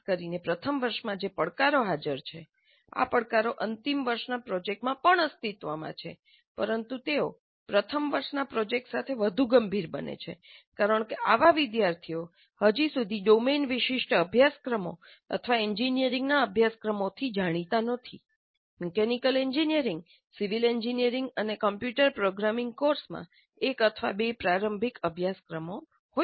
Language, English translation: Gujarati, The challenges which are present particularly in first year, these challenges exist even in final year project, but they become more severe with first year project because the students as it are not yet exposed to domain specific courses or engineering courses, much, maybe one or two elementary introductory courses in mechanical engineering, civil engineering, and a computer programming course